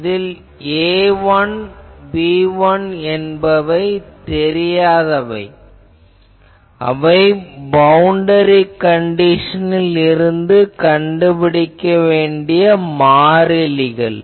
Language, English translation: Tamil, So, A1, B1 are unknowns so, A 1 and B1 are constants to be determined form boundary conditions